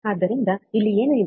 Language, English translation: Kannada, So, here what is there